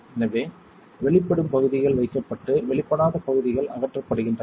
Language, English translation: Tamil, So, areas that are exposed are kept and areas that are not exposed are removed